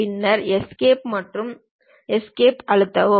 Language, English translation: Tamil, Then press Escape and Escape